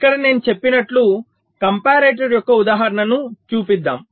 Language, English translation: Telugu, so here we show the example of a comparator, as i had said